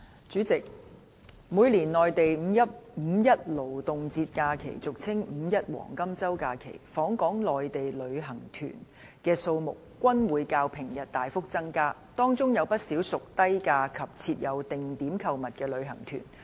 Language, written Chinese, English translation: Cantonese, 主席，每年內地五一勞動節假期期間，訪港內地旅行團的數目均會較平日大幅增加，當中有不少屬低價及設有定點購物的旅行團。, President during the Labour Day holiday of the Mainland each year the number of inbound Mainland tour groups IMTGs surges as compared with those in the ordinary days . Among such IMTGs quite a number of them charge low fares and have arranged shopping